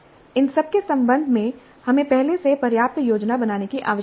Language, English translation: Hindi, Regarding all these, we need to do substantial planning well in advance